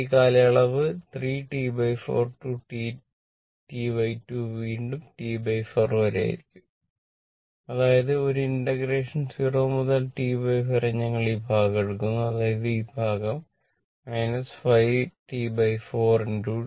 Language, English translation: Malayalam, So, this from here to here this duration your 3 T by 4 minus T by 2 will be again T by 4, but; that means, same integration 0 to T by 4 we are taking this portion we are taking this portion that is minus 5 T by 4 into t dt